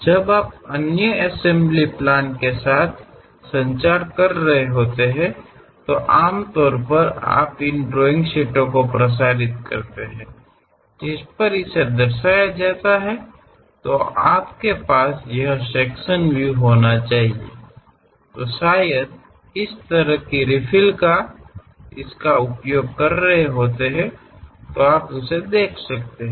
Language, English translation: Hindi, When you are communicating with other assembly plans, usually you circulate these drawing sheets on which it is clearly represented like; if you have having this sectional representation, perhaps such kind of refill one might be using it